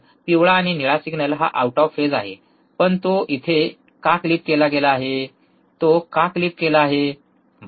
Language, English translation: Marathi, Yellow and blue it is the out of phase, but why it is the now clipped here why it is clipped, right